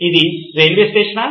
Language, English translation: Telugu, Is this a railway station